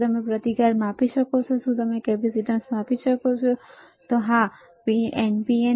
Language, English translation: Gujarati, Can you measure resistance, yes capacitance yes, right